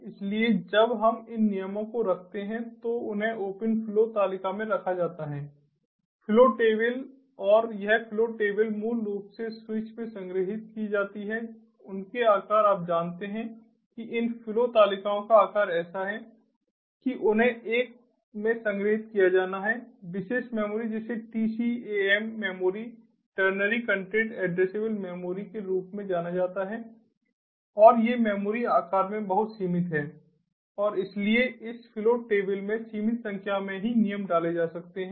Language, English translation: Hindi, the size of their, you know, ah, the size of these flow tables are such that they have to be stored in a specialized memory which are known as a tcam memory ternary content addressable memory and these memories are very limited in size and so that only a limited number of rules can be inserted in this flow tables